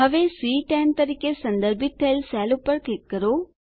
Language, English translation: Gujarati, Now, click on the cell referenced as C10